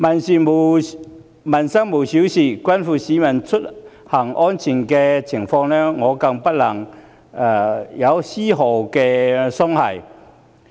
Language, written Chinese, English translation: Cantonese, 所謂"民生無小事"，關乎市民出行安全的問題，大家更不能有絲毫鬆懈。, As a saying goes No livelihood issue is trivial . On issues pertaining to peoples travel safety Members should not lose the slightest bit of guard